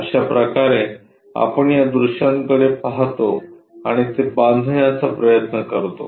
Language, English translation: Marathi, This is the way we look at these views and try to construct it